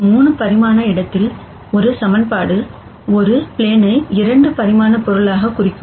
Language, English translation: Tamil, And in a 3 dimensional space a single equation would represent a plane a 2 dimensional object